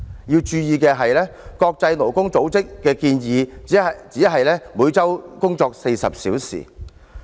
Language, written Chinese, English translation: Cantonese, 要注意的是，國際勞工組織的建議是每周工作40小時。, It should be noted that the International Labour Organization recommends a 40 - hour work week